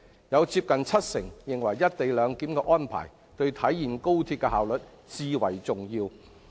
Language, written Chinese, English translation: Cantonese, 當中接近七成認為"一地兩檢"的安排，對體現高鐵的效率最為重要。, Among them close to 70 % held that the co - location arrangement was most crucial to XRLs efficiency